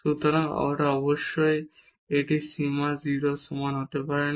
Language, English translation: Bengali, So, certainly it is the limit cannot be equal to equal to 0